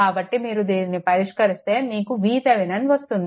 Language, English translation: Telugu, After after solving this, you find out V Thevenin